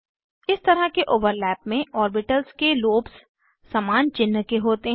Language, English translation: Hindi, In this type of overlap, lobes of orbitals are of same sign